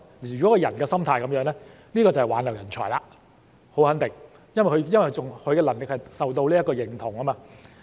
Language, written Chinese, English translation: Cantonese, 如果他們的心態是這樣，這便是挽留人才，很肯定，因為他們的能力受到認同。, If that is their mindset then it is a way of retaining talent for sure because their competence is recognized